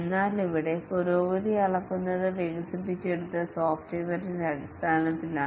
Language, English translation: Malayalam, But here the progress is measured in terms of the working software that has got developed